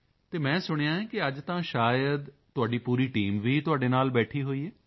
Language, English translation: Punjabi, And I heard, that today, perhaps your entire team is also sitting with you